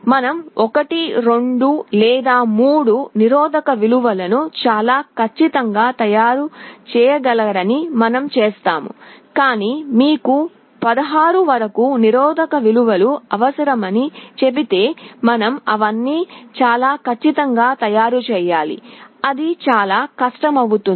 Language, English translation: Telugu, You see you can very accurately manufacture 1, 2 or 3 resistance values, but if I tell you require 16 different resistance values, you have to manufacture all of them very accurately, it becomes that much more difficult